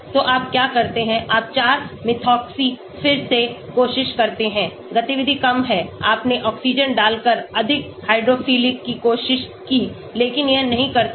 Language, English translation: Hindi, So, what do you do you try 4 Methoxy again the activity is less you tried more hydrophilic by putting oxygen, but it does not